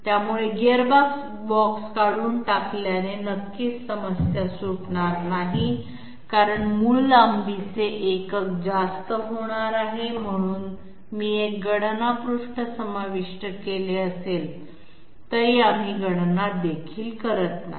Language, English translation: Marathi, So removing gearbox will definitely not solve the problem because basic length unit is going to become higher, so we are not even doing the calculation though I have included one calculation page